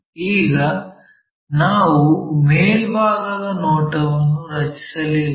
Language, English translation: Kannada, Now, we did not draw the top view